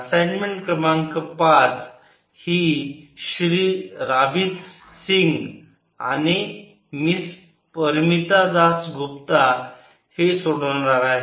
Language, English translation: Marathi, assignment number five will be solved by mr rabeeth singh and miss parmita dass gupta